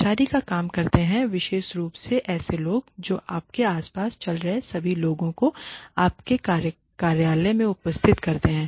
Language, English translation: Hindi, The staff workers especially are the people who do all the running around you have attendants in your offices